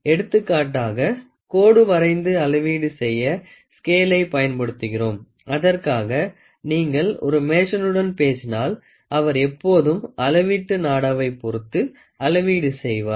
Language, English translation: Tamil, So, for example, we use a scale for measurement for drawing line, for and if you talk to a mason he always measures with respect to a measuring tape